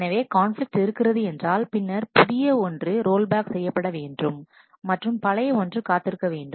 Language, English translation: Tamil, So, if there is a conflict, then the younger one in that will always roll back, and the older one will wait